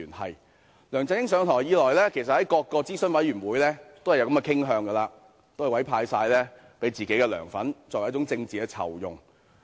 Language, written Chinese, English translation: Cantonese, 其實自梁振英上台以來，在各個諮詢委員會均有這種傾向，把職位委派給自己的"梁粉"，作為一種政治酬庸。, As a matter of fact since LEUNG Chun - ying took office there has been such an inclination in various advisory committees offering appointments to his own LEUNGs fans as a kind of political reward